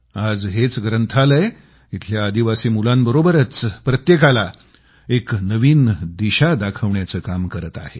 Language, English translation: Marathi, Today this library is a beacon guiding tribal children on a new path